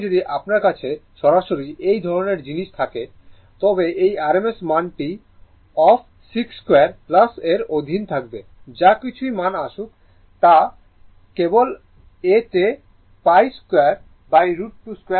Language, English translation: Bengali, So, if you have this kind of thing directly you can write this rms value will be under root of 6 square plus whatever value is come in this case pi by root to square